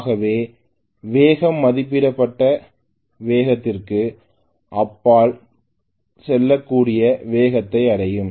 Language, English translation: Tamil, So if the speed increases quite a bit for what you know the speed might go beyond rated speed